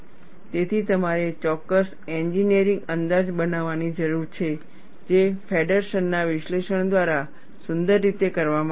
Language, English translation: Gujarati, So, you need to make certain engineering approximation, which is beautifully done by Feddersen’s analysis